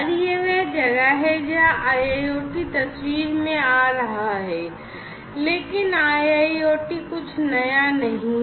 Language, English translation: Hindi, And, that is where this IIoT is coming into picture, but a IIoT is not something new, right